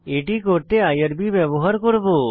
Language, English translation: Bengali, We will use irb for this